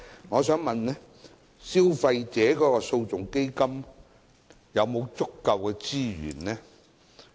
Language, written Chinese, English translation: Cantonese, 我想問基金有否足夠資源？, My question is Does the Fund have sufficient resources?